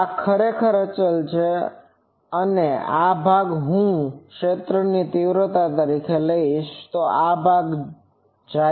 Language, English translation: Gujarati, This is actually constant and this part if I take the magnitude of this field, this part goes